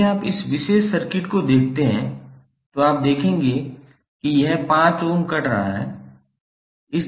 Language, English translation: Hindi, If you see this particular circuit then you will see that this 5 ohm is cutting across